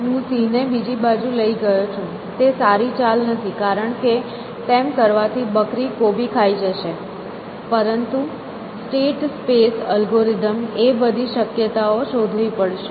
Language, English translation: Gujarati, So, I have taken the lion to the other side essentially, it not a very good moves of course, because the goat will eat the cabbage, but the state space algorithm has to search through all possibilities